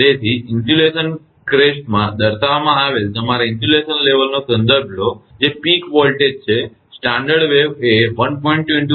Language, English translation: Gujarati, So, reference your insulation level expressed in impulse crest that is the peak voltage, with a standard wave not longer than 1